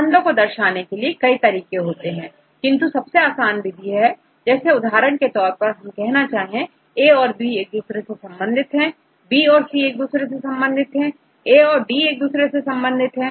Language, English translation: Hindi, In fact, there are various ways to explain the relationship, but is a easiest way for example, if we say A and B are related to each other, B and C are related to each other, A and D are related to each other